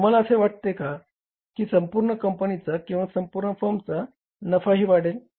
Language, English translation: Marathi, Can you think that the profit of the company as a whole or the firm as a whole will also go up